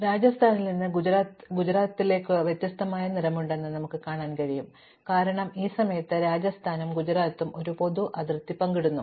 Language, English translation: Malayalam, So, we can see that Rajasthan has a different color from Gujarat, because Rajasthan and Gujarat at this point share a common boundary